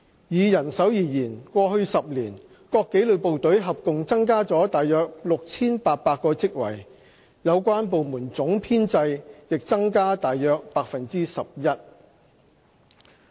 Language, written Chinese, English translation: Cantonese, 以人手而言，過去10年，各紀律部隊合共增加了約 6,800 個職位，有關部門總編制亦增加約 11%。, With regard to manpower a total of about 6 800 posts have been created in various disciplined services over the past decade and the total establishment of the relevant departments have increased by about 11 %